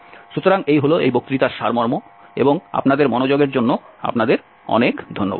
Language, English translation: Bengali, So that is all for this lecture and thank you very much for your attention